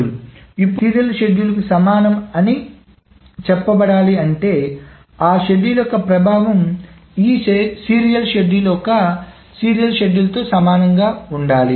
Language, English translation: Telugu, Now, and another schedule is said to be equivalent to this serial schedule, if the effect of that schedule is the same as the serial schedule as one of the serial schedules